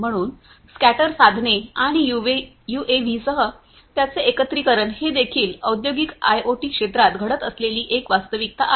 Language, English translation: Marathi, So, scatter devices and their integration with UAVs are also a reality that is happening in the industrial IoT sector